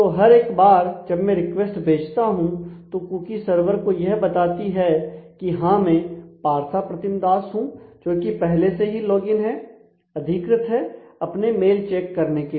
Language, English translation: Hindi, So, every time I send a request the cookie actually has to go to tell the server that yes this is the Partha Pratim Das who is already logged in an authenticated himself for checking his mails